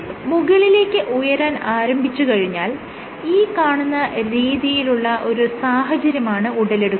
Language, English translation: Malayalam, So, once the tip starts going up, you will have let us say a situation like this